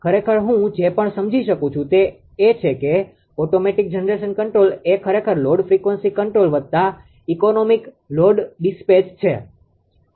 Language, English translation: Gujarati, Actually ah whatever I have understood right that automatic generation control actually is equal to load frequency control plus economic load dispatch together right